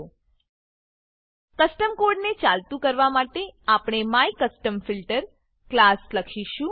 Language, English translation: Gujarati, To make the custom code work, we will write the MyCustomFilter class